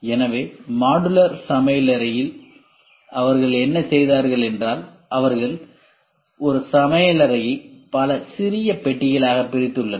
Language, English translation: Tamil, So, in modular kitchen what they have done is they have made the kitchen into several small compartments